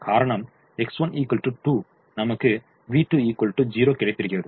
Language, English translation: Tamil, so x two, v two is zero